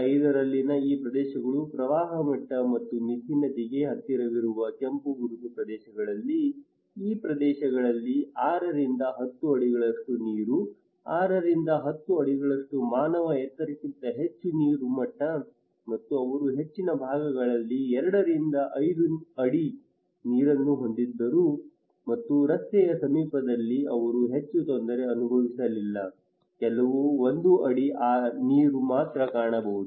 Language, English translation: Kannada, The flood level in 2005 and these areas, the red mark areas close to the Mithi river, these areas were around six to ten feet of water, six to ten feet that is more than a human height okay and also they had two to five feet in most of the parts and close to the road they were not much suffered, only one feet of water